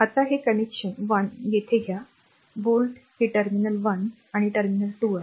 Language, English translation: Marathi, Now, take this connection 1 here, the volt this is terminal 1 and terminal 2